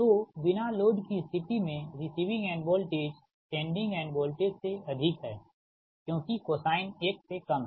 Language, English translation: Hindi, that at no load condition, that receiving end voltage right is greater than the sending an voltage because cosine is less than one right